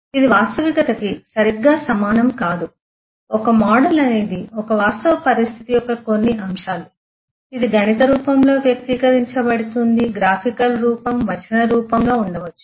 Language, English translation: Telugu, It is not exactly same as reality, a model is certain aspects of a real situation which is expressed in terms of mathematical form, graphical form may be in textual form and so on